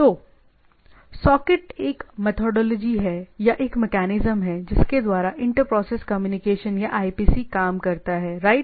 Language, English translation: Hindi, So, socket is a, what we can say it is a methodology or a mechanism by which inter process communication or IPC works, right